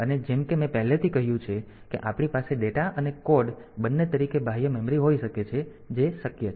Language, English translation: Gujarati, And we can as you as I have already said that we may have external memory as both data and code so that is possible